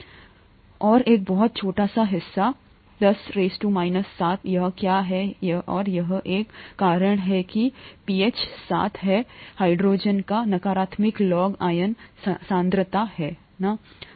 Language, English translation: Hindi, And a very small part, ten power minus 7, is what it is and that’s why pH is 7, negative law of the hydrogen ion concentration, right